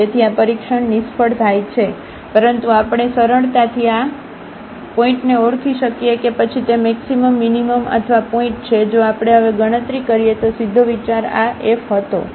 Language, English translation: Gujarati, So, this test fails, but we can easily identify this point whether it is a point of maximum minimum or a saddle point, if we compute now directly the idea was this delta f